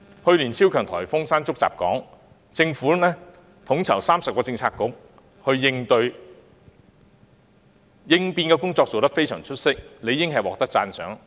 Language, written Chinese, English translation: Cantonese, 去年超強颱風山竹襲港，政府統籌30個政策局作出應對，應變工作做得非常出色，理應獲得讚賞。, Before the onslaught of the super typhoon Mangkhut last year the Government coordinated 30 Policy Bureaux in preparation for the disaster with excellent emergency response which deserved commendation